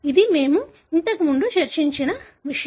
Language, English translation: Telugu, That is something that we discussed earlier